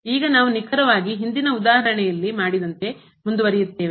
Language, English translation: Kannada, And now we will deal exactly as done in the previous example